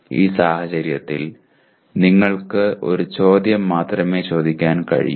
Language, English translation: Malayalam, In that case, you can only ask one question